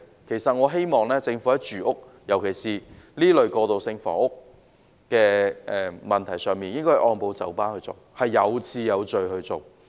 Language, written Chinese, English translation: Cantonese, 其實我希望政府在住屋，尤其是在這類過渡性房屋的問題上，應該按部就班、有次有序地做。, Actually I hope that the Government will take a gradual orderly approach in addressing the issue of housing especially transitional housing of this sort